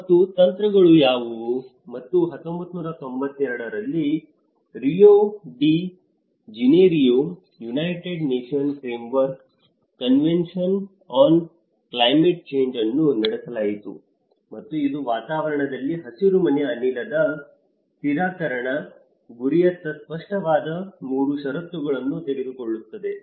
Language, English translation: Kannada, And what are the strategies and in 1992, in Rio de Janeiro,United Nations Framework Convention on Climate Change has been held, and it takes 3 conditions which has been made explicit towards the goal of greenhouse gas stabilization in the atmosphere